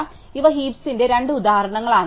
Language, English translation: Malayalam, So, these are two examples of heaps